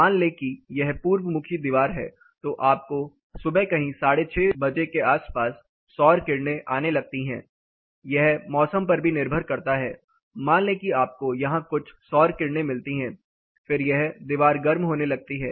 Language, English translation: Hindi, But imagine this is east facing wall, you start getting solar incidents somewhere around 6:30 in the morning it depends on the season as well, so imagine you get some solar incidents here then this walls starts getting heated up